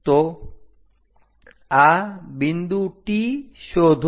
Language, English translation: Gujarati, So, find this point T